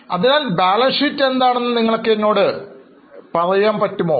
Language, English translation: Malayalam, So, can you tell me what does the balance sheet give you